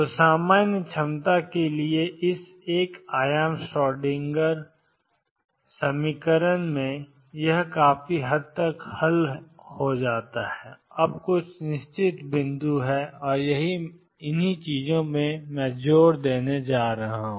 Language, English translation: Hindi, So, this is pretty much what solve in this one dimensional Schrodinger equation for general potentials is now there are some certain points and that is what I want to emphasize